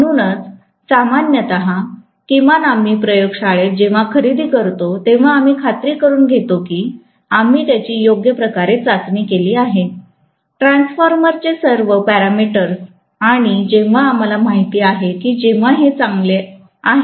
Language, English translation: Marathi, So, generally, at least in the laboratory when we buy, we make sure that we test it properly, all the parameters of the transformer and only when we know it is fairly good we release the payment, that is what we do